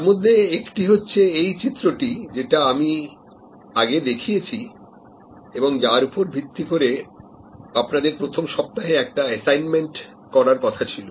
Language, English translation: Bengali, One of them is this diagram that I had shown before, which is on the basis of which you are supposed to do an assignment in week one